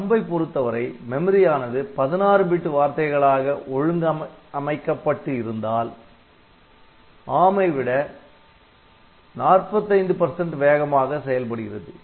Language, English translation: Tamil, And, as far as THUMB is concerned, so, THUMB is if it you organize a 16 bit word then the THUMB code is 45 percent faster than ARM